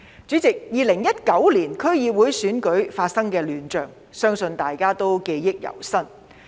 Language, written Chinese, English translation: Cantonese, 主席 ，2019 年區議會選舉發生的亂象，相信大家記憶猶新。, Chairman the chaos in the 2019 District Council Election I believe is still fresh in our memory